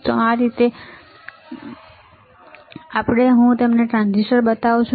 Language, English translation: Gujarati, Now, let us go to the next one, I show you transistor